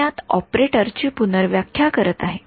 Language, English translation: Marathi, So, I am redefining the operator in this